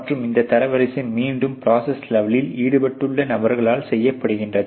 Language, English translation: Tamil, and this ranking again done by those personal who are involved in the process level itself ok